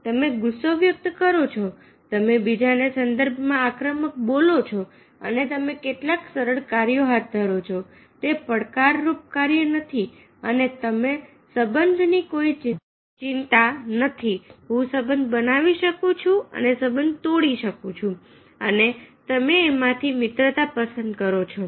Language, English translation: Gujarati, you express anger, you became aggressive in the contrast of others and you take up some easy tasks, not the challenging task, and you are not bothered about the relationship, whether you can make the relationship and break the relationship, and you have friendship with selected few